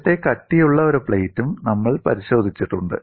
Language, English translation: Malayalam, We have also looked at, earlier, a thick plate